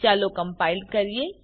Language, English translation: Gujarati, Let us compile